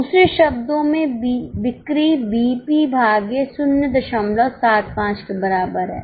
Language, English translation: Hindi, In other words, sales is equal to BEP upon 0